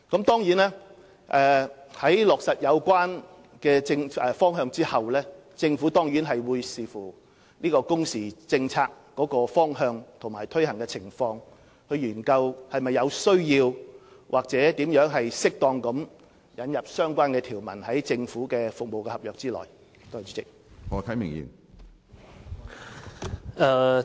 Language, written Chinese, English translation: Cantonese, 當然，在落實有關方向後，政府會視乎工時政策方向及其推行情況作出研究，探討是否有需要或如何適當地在政府服務合約內引入相關條款。, After the working hours policy direction is finalized a study will of course be conducted by the Government having regard to the details and implementation of the policy direction so as to determine if there is a need of incorporating the relevant terms and conditions into government service contracts or how they should be duly incorporated into such contracts